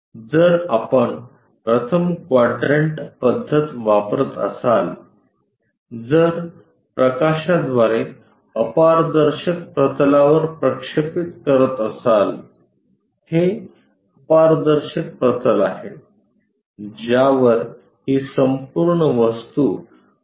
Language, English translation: Marathi, If it is first quadrant method by light if we are projecting it the opaque is this one opaque opaque plane on which this entire object will be projected